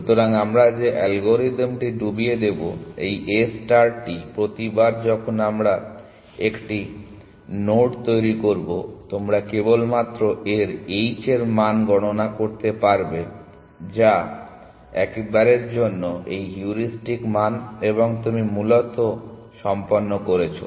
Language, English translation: Bengali, So, the algorithm that we will dip implement this A star every time we generate a node you can simply compute its h value which is this heuristic value once for all and you are done essentially